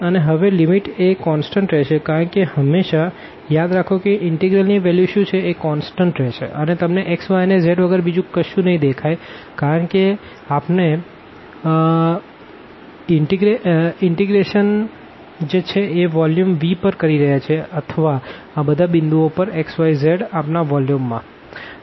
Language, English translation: Gujarati, And, now the limit has to be constant because always remember the value of this integral is a constant and you will not see anything of x y and z because, we are integrating over the volume this V or over all the points this xyz in our volume